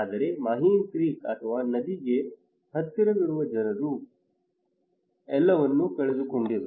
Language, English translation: Kannada, But people who are close to the Mahim Creek or river they lost everything